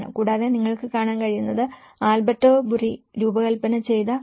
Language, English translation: Malayalam, Also, what you can see is the Cretto which is designed by Alberto Burri